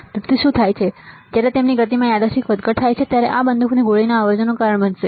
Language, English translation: Gujarati, So, what happens that when there random fluctuation in the motion, this will cause the shot noise